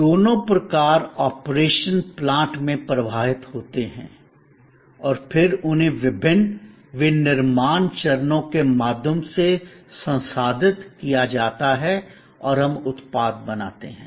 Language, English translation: Hindi, Both types flow to the operation plant and then, they are processed through different manufacturing stages and we create products